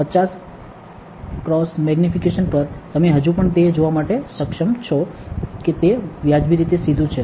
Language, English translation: Gujarati, At 50 x magnification, you are still able to see that it is reasonably straight